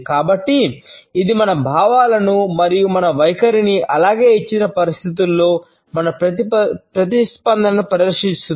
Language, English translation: Telugu, So, it showcases our feelings and our attitudes as well as our response in a given situation